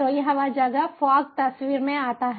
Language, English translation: Hindi, so this is where fog comes into picture